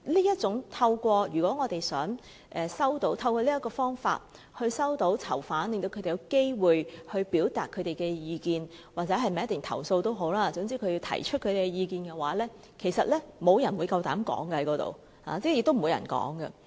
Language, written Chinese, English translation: Cantonese, 如果我們想透過探訪與囚犯見面，令他們有機會表達意見或作出投訴，總之讓他們提出意見的話，其實無人敢於在那個場合發言，是不會有人發言的。, If the purpose of our visits is to meet the prisoners and offer a chance for them to express opinions or raise complaints so that they can put forward their viewpoints I have to admit that not one of them will dare to speak on these occasions